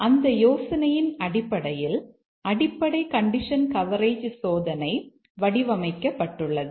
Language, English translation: Tamil, And exactly based on that idea, the basic condition coverage testing is designed